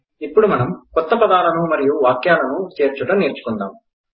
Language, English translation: Telugu, We will now learn to add new words and sentences